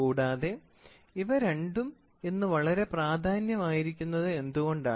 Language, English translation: Malayalam, And why is these two very important today